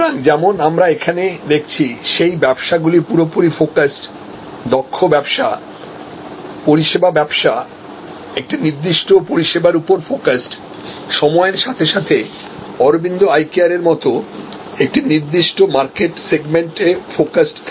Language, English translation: Bengali, So, as we see here, that businesses start as fully focused, good businesses, service businesses, focused on a particular service, focused on a particular market segment over time like Arvind today